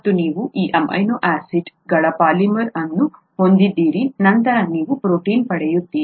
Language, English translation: Kannada, And you have polymer of these amino acids, then you get a protein